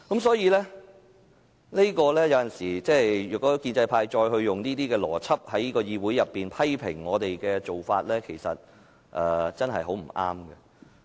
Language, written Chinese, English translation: Cantonese, 所以，如果建制派再用這個邏輯，在議會裏面批評我們的做法，真的很不對。, So the pro - establishment camp is really wrong to continue to apply this logic and criticize our actions in the Council